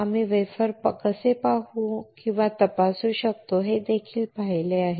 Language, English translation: Marathi, We have also seen how we can see or inspect the wafer